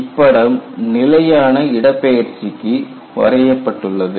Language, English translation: Tamil, Here it is shown for constant displacement